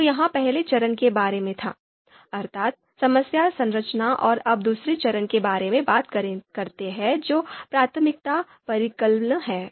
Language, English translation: Hindi, So this was about the first step that problem structuring and now let’s talk about the second step priority calculation